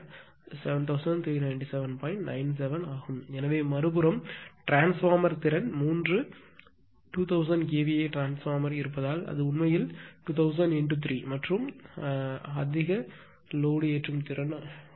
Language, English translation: Tamil, 97 KVA therefore, on the other hand the transformer capability is because there are three 2000 KVA transformer, so it actually 2000 into 3 in the power loading capability is 1